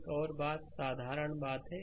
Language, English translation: Hindi, Another thing is simple thing